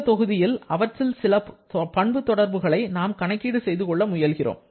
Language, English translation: Tamil, So, in this module actually we are looking to calculate those property relations or certain of those property relations